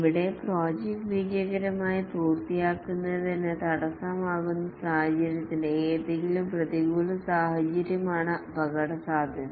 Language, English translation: Malayalam, Here the risk is any adverse circumstance that might hamper the successful completion of the project